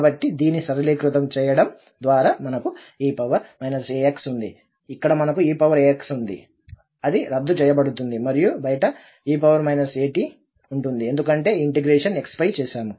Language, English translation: Telugu, So, this simplification because we have e power minus a x here, we have e power a x that will get cancelled and we have e power minus a t outside because this integral is over x